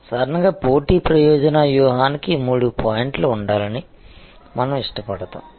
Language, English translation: Telugu, So, normally we prefer that a competitive advantage strategy should have about three points